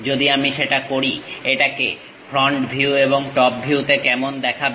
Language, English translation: Bengali, If I do that; how it looks like in front view and top view